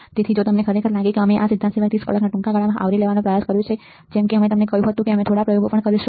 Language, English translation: Gujarati, So, lot of things if you really think we have tried to cover in this short duration of 30 hours apart from this theory like I said we will also do few experiments